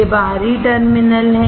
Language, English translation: Hindi, These are external terminals